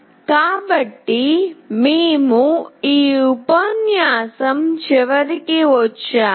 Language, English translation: Telugu, So, we have come to the end of this lecture